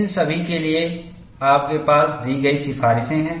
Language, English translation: Hindi, For all these, you have recommendations given